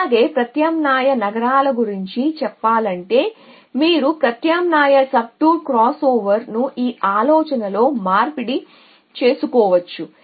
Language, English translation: Telugu, Also, in say of the alternating cities you can alternate subtour crossover you can exchange in this idea